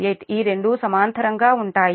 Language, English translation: Telugu, this two are in parallel